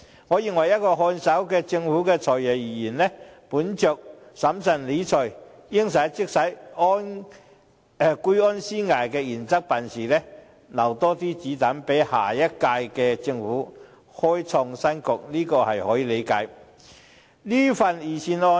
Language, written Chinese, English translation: Cantonese, 我認為，以一個看守政府的"財爺"而言，本着審慎理財、"應使則使"、居安思危的原則辦事，留下更多"子彈"給下屆政府開創新局，這可以理解。, In my opinion as the Financial Secretary of a caretaker government it is reasonable for him to act in accordance with the principles of managing public finance prudently spending only when necessary as well as remaining vigilant so as to leave more ammunitions for the next - term Government to create a new era